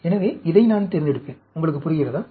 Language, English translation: Tamil, So, I will select this, do you understand